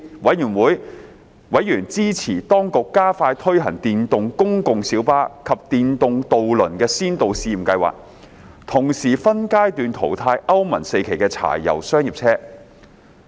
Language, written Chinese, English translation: Cantonese, 委員支持當局加快推行電動公共小巴及電動渡輪的先導試驗計劃，同時分階段淘汰歐盟 IV 期柴油商業車。, Members supported the implementation of the pilot schemes for electric public light buses and electric ferries by the Administration expeditiously as well as the phasing out of Euro IV diesel commercial vehicles